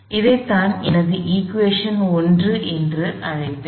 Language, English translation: Tamil, This is what I will end up calling my equation 1